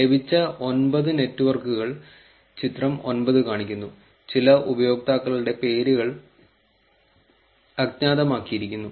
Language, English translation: Malayalam, Figure 9 shows the networks obtained, some of the users' names are anonymized